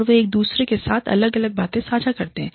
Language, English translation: Hindi, And, they share different things, with each other